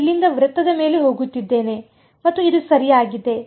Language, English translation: Kannada, I am going from here over the circle and like this correct